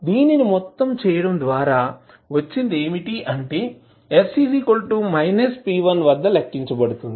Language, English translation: Telugu, The whole product of this would be calculated at s is equal to minus p1